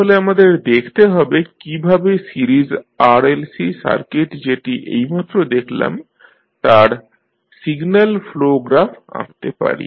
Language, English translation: Bengali, So, let us see how we draw the signal flow graph of the series RLC circuit we just saw